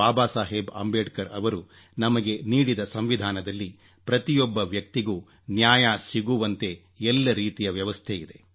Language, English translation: Kannada, Baba Saheb Ambedkar there is every provision for ensuring justice for each and every person